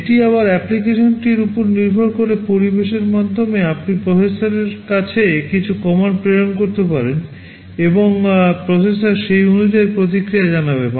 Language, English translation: Bengali, It depends again on the application, through the environment you can send some commands to the processor, and the processor will respond accordingly